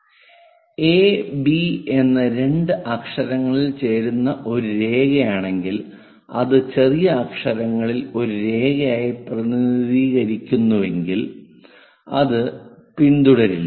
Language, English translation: Malayalam, If it is a line joining two letters a b as one line in lower case letters, unfollowed